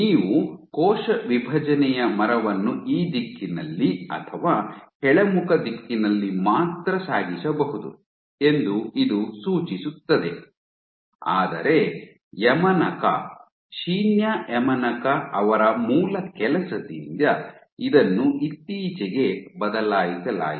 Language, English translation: Kannada, Suggesting that you can only traverse the tree in this direction or downward direction, but this was changed by the seminal work of Yamanaka, Shinya Yamanaka very recently